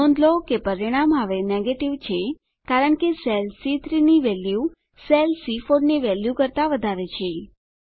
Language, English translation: Gujarati, Note, that the result is now Negative, as the value in cell C3 is greater than the value in cell C4